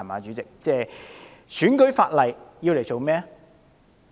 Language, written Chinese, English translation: Cantonese, 主席，選舉法例要來做甚麼？, President what does election legislation do?